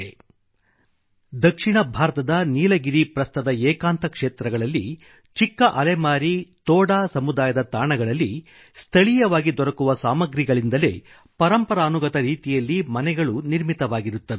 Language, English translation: Kannada, In the isolated regions of the Nilgiri plateau in South India, a small wanderer community Toda make their settlements using locally available material only